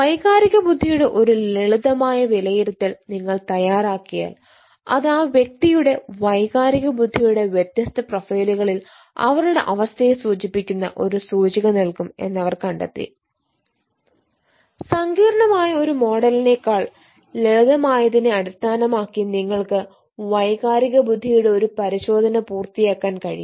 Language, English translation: Malayalam, so once ehhh you prepare ah ehh, a simple assessment of ei that will give an index eh indication of the status of a person in their eh different profiles of emotional intelligence, then, based on a simple rather than complex model, you will be able to complete in a test of ei